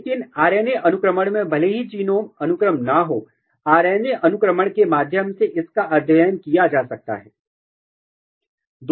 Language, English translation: Hindi, But in RNA sequencing, the genome even the genome is not sequenced, it can be studied through RNA sequencing